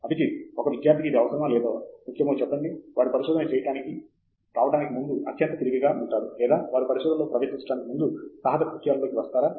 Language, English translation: Telugu, Abhijith, just tell me, is it necessary or important for a student to be super intelligent before they take up research or they should be getting into adventures before they can get into research